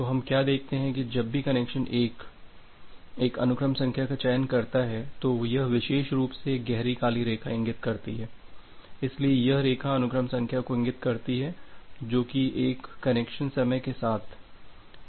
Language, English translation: Hindi, So, what we see that whenever connection 1 connection selects one sequence number so this particular dark black line indicates, so this line indicates the sequence number that a particular connection is going to use with the respect of time